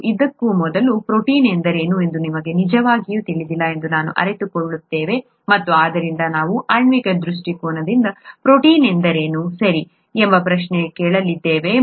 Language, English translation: Kannada, And before that, we realise we don’t really know what a protein is, and therefore we are going to ask the question, from a molecular point of view, what is a protein, okay